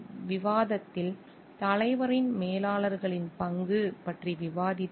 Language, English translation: Tamil, In this discussion we have discussed about the role of leader s managers